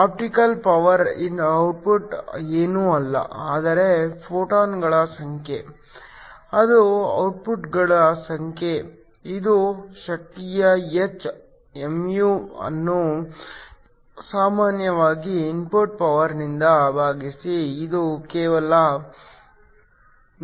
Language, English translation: Kannada, The optical power output is nothing, but the number of photons, this is number of photons times the energy h mu divided by the input power which is usually just IV